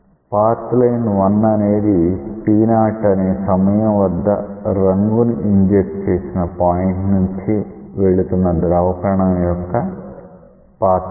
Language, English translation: Telugu, Path line 1 is the path line of a fluid particle which pass through the point of dye injection at time equal to t 0